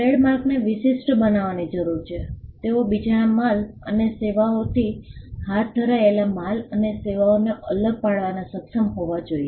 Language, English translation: Gujarati, Trademarks need to be distinctive; they should be capable of distinguishing the goods and services of one undertaking from the goods and services of another